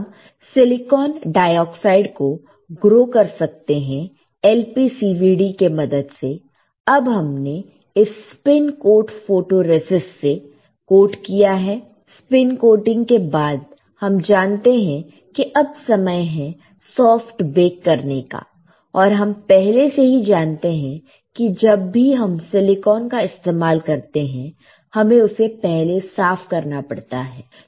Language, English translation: Hindi, We can grow silicon dioxide using lpcvd, now we have coated spin coated photoresist after spin coating we know, it is time for soft bake and we already know that whenever we use silicon, we had to clean it